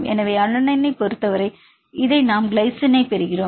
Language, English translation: Tamil, So, for the alanine we get this one right for the glycine this is a glycine